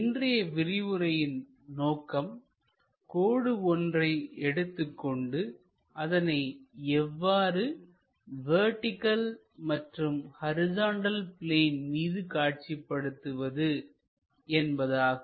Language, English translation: Tamil, Objective of today's lecture is how to draw projection of a line on a vertical plane and horizontal plane